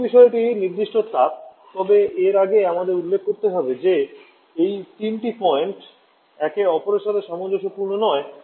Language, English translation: Bengali, Second point is the specific heat but before that I have to mention that these 3 points are not compatible with each other quite often